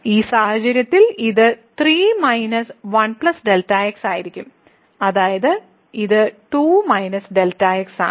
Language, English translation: Malayalam, And, in this case this will be 3 minus 1 ; that means, it is a 2 minus